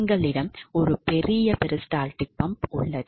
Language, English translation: Tamil, So, what exactly peristaltic pump